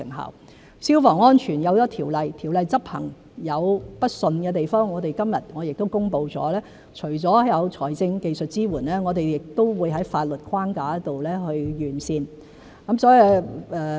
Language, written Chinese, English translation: Cantonese, 有了消防安全的條例，條例執行有不暢順的地方，我們今日亦公布除了有財政和技術支援外，亦會在法律框架上完善。, In respect of the law on fire safety there are areas which have not been enforced smoothly . We have also announced today that apart from providing financial and technical support the legal framework will also be improved